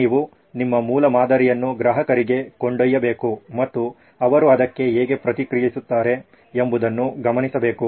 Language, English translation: Kannada, Now you need to take your prototype to the customer and observe how they react to it